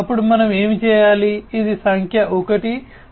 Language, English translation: Telugu, Then we have to do what, this is number 1